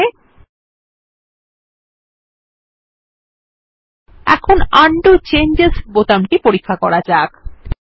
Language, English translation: Bengali, Okay, now let us test the Undo changes button